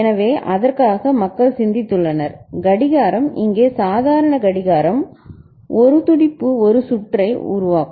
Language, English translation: Tamil, So, for that people have thought about the clock is the normal clock here and a pulse forming a circuit ok